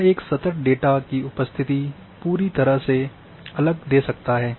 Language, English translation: Hindi, It may give a completely different appearance of a continuous data